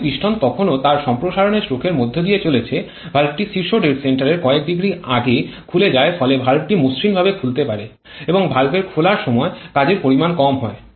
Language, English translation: Bengali, As the piston is still going through its expansion stroke the valve is opened a few degrees before top dead centre thereby allowing a smoother opening of the valve and less amount of work loss associated the movement of the valve